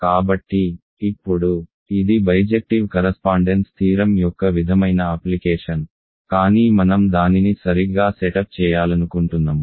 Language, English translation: Telugu, So, now, this is sort of application of the bijective correspondence theorem, but I want to set it up properly